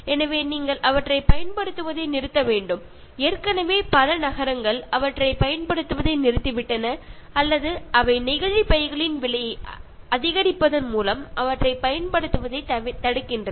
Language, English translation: Tamil, So, it is very important that you should stop using them and there are already cities, they have stopped using or they are preventing the use of them by increasing the price of plastic bags and all that